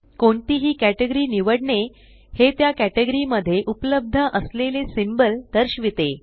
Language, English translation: Marathi, Choosing any category displays the available symbols in that category